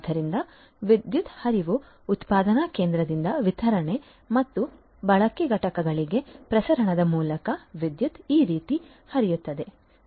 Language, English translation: Kannada, So, power flow is there so, starting from the generation station through the transmission to the distribution and consumption units the power flows like this